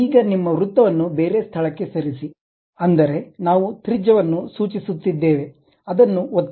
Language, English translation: Kannada, Now, move your circle to some other location, that means, we are specifying radius, click that